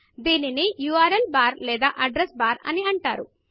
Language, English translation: Telugu, It is called the URL bar or Address bar